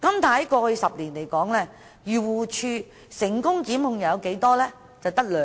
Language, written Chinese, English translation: Cantonese, 但過去10年，漁農自然護理署成功檢控的有多少宗個案？, How many cases have been successfully prosecuted by the Agriculture Fishers and Conservation Department AFCD over the past decade?